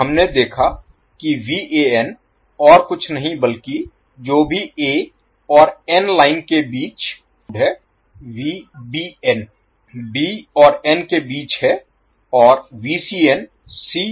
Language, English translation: Hindi, So, we have seen that Van is nothing but what is between A N and lines Vbn is between B and N and Vcn is between CN neutral